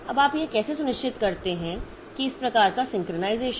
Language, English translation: Hindi, Now, how do you ensure that this type of synchronization